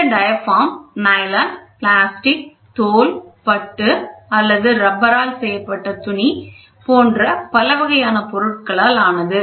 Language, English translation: Tamil, This diaphragm may be made of a variety of material such as nylon, plastic, leather, silk or rubberized fabric